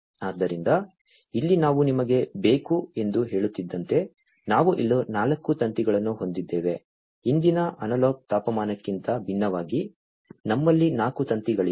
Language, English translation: Kannada, So over here as I was telling you that we need so, we have 4 wires over here, unlike the previous analog temperature one so, we have 4 wires